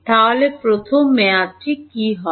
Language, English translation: Bengali, So, what will the first term be